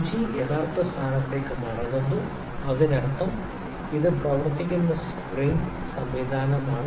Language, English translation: Malayalam, The needle comes back to the original position; that means, thus it is some spring mechanism that is working in